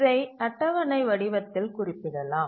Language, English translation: Tamil, So we can represent that in the form of a table